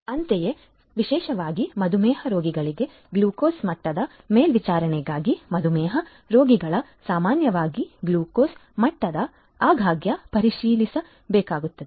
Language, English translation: Kannada, Similarly, for glucose level monitoring particularly for diabetes, diabetes patients; diabetes patients typically need to check the glucose level quite often